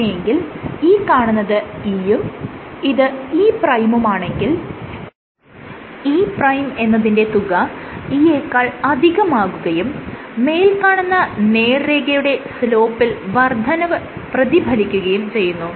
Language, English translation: Malayalam, So, let us say if it is E and this is E prime and E prime is greater than E then the slope of this line will increase